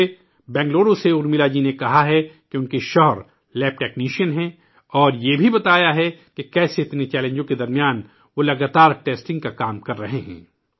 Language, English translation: Urdu, I have been told by Urmila ji from Bengaluru that her husband is a lab technician, and how he has been continuously performing task of testing in the midst of so many challenges